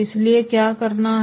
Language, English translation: Hindi, So what to do